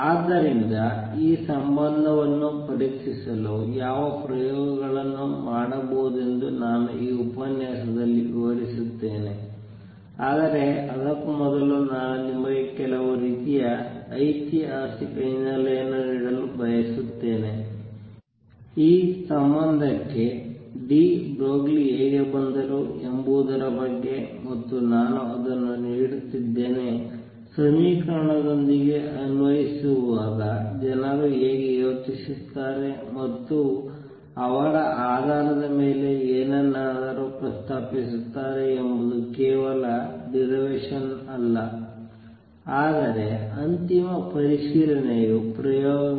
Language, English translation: Kannada, So, I will describe in this lecture what experiments can be performed to check this relationship, but before that I will just want to give you some sort of historical background has to how de Broglie arrived at this relationship, and I am just giving it is not a derivation it just that how people work how they think and propose something on the basis of they when they applying around with equations, but the ultimate check is experiments